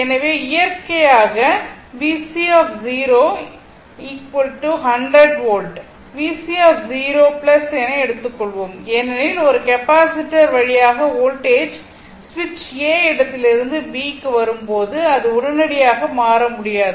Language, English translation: Tamil, So, naturally V C 0 minus is equal to take 100 volt is equal to V C 0 plus because your voltage through a capacitor when switch move ah move from position A to B it cannot change instantaneously